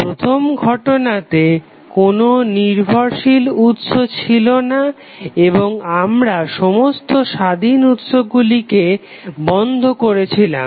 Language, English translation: Bengali, In first case the network has no dependent sources and we turn off all the independent sources turn off means